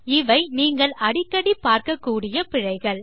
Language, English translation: Tamil, These are some of the errors you are likely to encounter